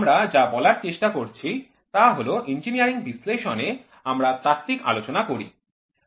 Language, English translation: Bengali, What we are trying to say is in engineering analysis we do theory